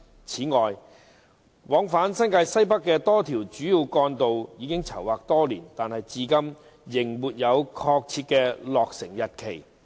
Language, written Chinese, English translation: Cantonese, 此外，往返新界西北的多條主要幹道已籌劃多年，但至今仍沒有確切的落成日期。, Moreover while the planning for a number of major trunk roads plying NWNT has been underway for several years their completion dates have not been confirmed so far